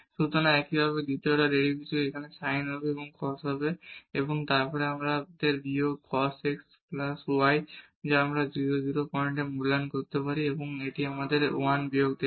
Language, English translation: Bengali, So, similarly the second order derivatives here the sin will becomes the cos and then we have minus cos x plus y which we can evaluate at this 0 0 point and this will give us minus 1